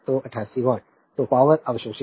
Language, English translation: Hindi, So, 88 watts so, power absorbed